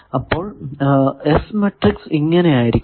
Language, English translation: Malayalam, So, its S matrix turns out to be this